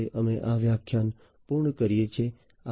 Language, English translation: Gujarati, So, with this we come to an end of this lecture